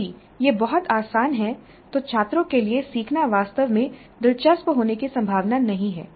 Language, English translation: Hindi, If it is too easy the learning is not likely to be really interesting for the students